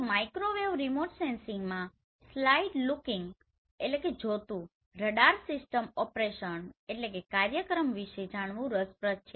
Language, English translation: Gujarati, So in Microwave Remote Sensing it is interesting to know about the side looking radar system operation